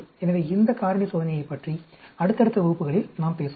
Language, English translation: Tamil, So, we will talk about this factorial experiment in the subsequent classes